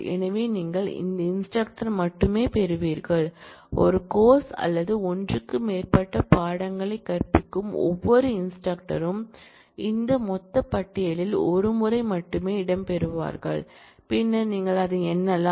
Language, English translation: Tamil, So, that you get only those instructors, every instructor who is teaching one course or more than one course will feature only once in this total list, and then you simply count it